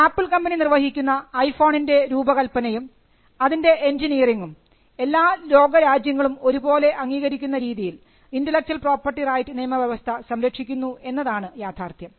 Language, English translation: Malayalam, The regime where Apple creates these works that is the design for the iPhone and the engineering of the iPhone, the regime protects all of Apples intellectual property rights; in such a way that the international regime recognizes these rights in different countries